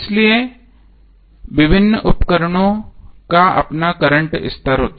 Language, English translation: Hindi, So various appliances will have their own current level